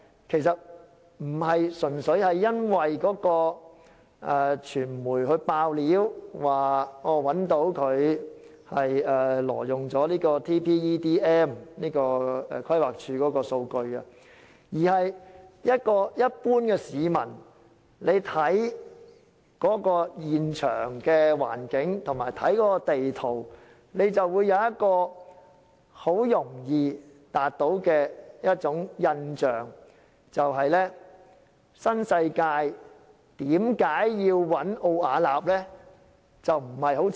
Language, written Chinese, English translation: Cantonese, 其實並非純粹因為傳媒披露該公司挪用規劃署的數據《全港人口及就業數據矩陣》，而是一般市民觀察現場環境及地圖時，很容易會有一個疑問：新世界為何要委託奧雅納工程顧問公司呢？, It was not only because the media had disclosed the companys illegal use of the Territorial Population and Employment Data Matrix TPEDM of the Planning Department but also because the general public will easily ask a question when observing the site and the map why did NWD commission Ove Arup Partners Hong Kong Ltd Arup?